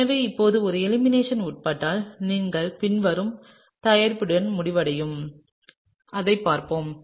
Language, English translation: Tamil, So, now, if this undergoes elimination, then you would end up with the following product; let’s look at it